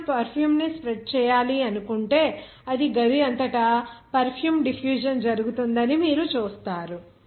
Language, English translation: Telugu, If you suppose spread of some perfume, you see that perfume will be diffused throughout the room